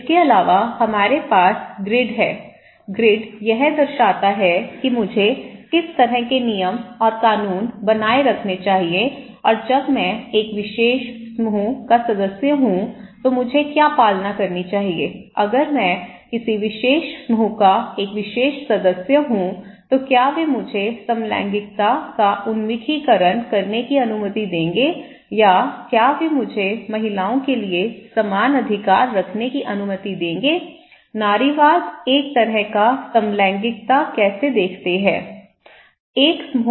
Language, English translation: Hindi, Also, we have the grid okay, the grid represents that what kind of rules and regulations I should maintain, I should follow, when I am a member of a particular group, okay that what are the constraints like if I am a particular member of a particular group, will they allow me to have an orientation of homosexual or will they allow me to have equal rights for the women so, feminism, a kind of homosexuality how one see; one group see that is a kind of the rule of the group